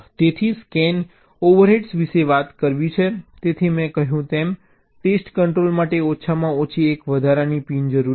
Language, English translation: Gujarati, ok, so talking about the scan overheads, so, as i said, at least one additional pin for the test control is necessary